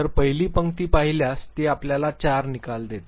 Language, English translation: Marathi, So, the first row if you see it gives you four outcomes